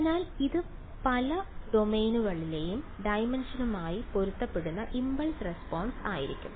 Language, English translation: Malayalam, So, it will be impulse response corresponding to so many dimensions that is the only idea